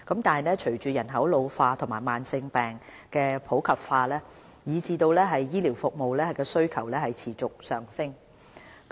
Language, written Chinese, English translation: Cantonese, 然而，隨着人口老化及慢性病普及化，醫療服務需求持續上升。, However given an ageing population and the increasing prevalence of chronic diseases the demand for health care services has continued to rise